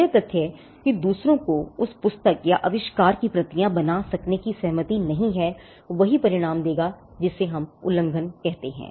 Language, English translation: Hindi, The fact that others who do not have as consent can make copies of the book or an invention would itself result to what we call infringement